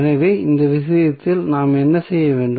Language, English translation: Tamil, So, what we have to do in that case